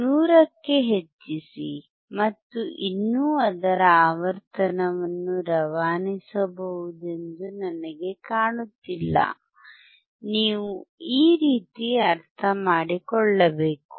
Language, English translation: Kannada, Go to 100 and still I cannot see their frequency can be passed, you see you have to understand in this way